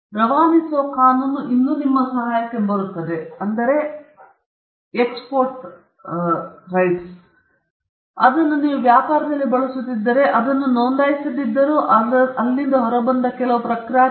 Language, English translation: Kannada, The law of passing off will still come to your help, because you have been using it in trade, though you have not registered it, and you have some kind of reputation that has come out of it